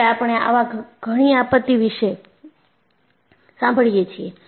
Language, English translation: Gujarati, Now, we hear such disasters